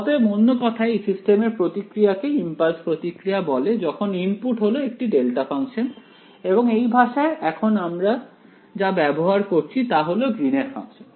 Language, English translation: Bengali, So, in other words the system response when the input is a delta function is called the impulse response and in this language that we are using now its called the greens function